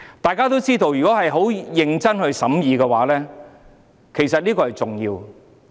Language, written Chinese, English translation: Cantonese, 大家都知道，其實這件事甚為重要，要認真審議。, It is common knowledge that the matter is very important and warrants serious scrutiny